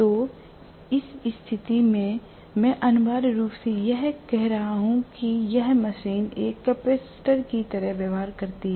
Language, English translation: Hindi, So, in which case I am going to have essentially this machine behaves like a capacitor